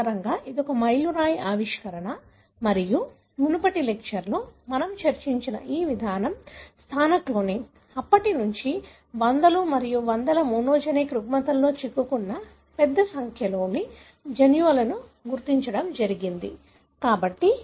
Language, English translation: Telugu, So, that is a landmark discovery and this approach what we discussed in the previous lecture, positional cloning, has since then, has resulted in the identification of a large number of genes implicated in hundreds and hundreds of monogenic disorders